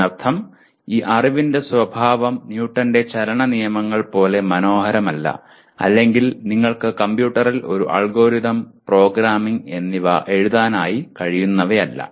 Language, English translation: Malayalam, That means the nature of this knowledge is not as elegant as like Newton’s Laws of Motion or you cannot write an algorithm and programming to the computer